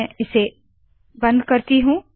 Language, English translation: Hindi, I will close this